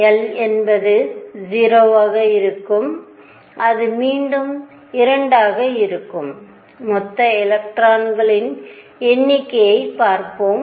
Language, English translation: Tamil, l equals 0 again is going to be 2, let us see the total number of electrons